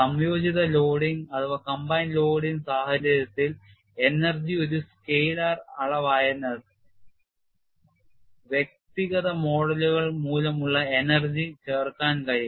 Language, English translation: Malayalam, For the combine loading situation, since energy is a scalar quantity, energy due to individual modes can be added